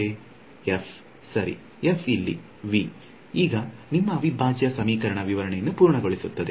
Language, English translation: Kannada, f right so, f is V so, that completes the full description of your integral equations